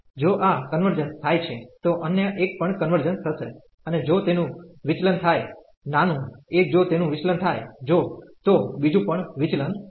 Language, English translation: Gujarati, If this converges, the other one will also converge; and if that diverge the smaller one if that diverges, the other one will also diverge